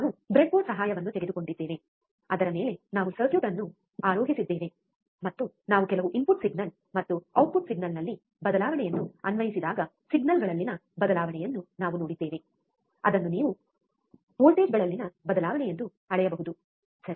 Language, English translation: Kannada, We took the help of breadboard, on which we have mounted the circuit, and we have seen the change in the signals, when we apply some input signal and a change in output signal which you can measure as change in voltages, right